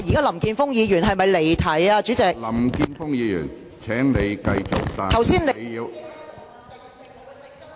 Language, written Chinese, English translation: Cantonese, 林健鋒議員，請繼續發言，但請你......, Mr Jeffrey LAM please continue with your speech but will you please